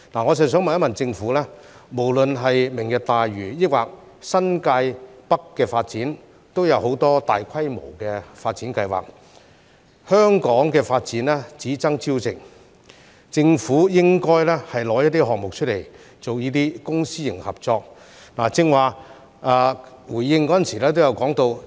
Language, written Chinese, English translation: Cantonese, 我想問一問政府，無論是"明日大嶼"或新界北的發展，都有很多大規模的發展計劃，香港的發展只爭朝夕，政府應該拿出一些項目，以公私營合作的方式進行。, I wish to ask the Government this Whether in respect of Lantau Tomorrow or the development of New Territories North there are many large - scale development plans and as every minute counts when it comes to the development of Hong Kong the Government should identify some projects for them to be taken forward by the Public - Private Partnership approach